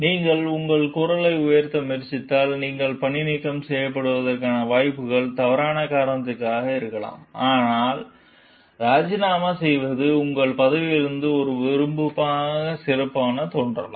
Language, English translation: Tamil, Because, you were trying to raise your voice, like then maybe chances are that you get fired maybe on a wrong cause, so that is why resigning may look better in your records as an option